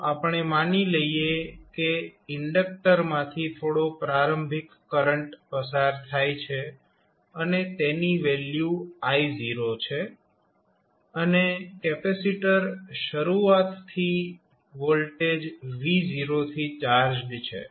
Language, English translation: Gujarati, So, we assume that there is some initial current flowing through the inductor and the value is I not and capacitor is initially charged with some voltage v not